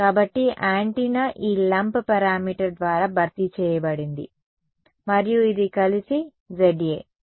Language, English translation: Telugu, So, the antenna has been replaced by this lump parameter and so, this together is Za